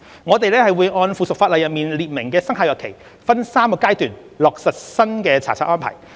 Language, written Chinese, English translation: Cantonese, 我們會按附屬法例中列明的生效日期，分3個階段落實新查冊安排。, The new inspection regime will be implemented in three phases according to the respective commencement dates provided in the subsidiary legislation